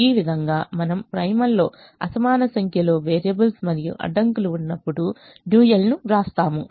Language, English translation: Telugu, so this is how we will write the dual when we have unequal number of variables and constraints in the primal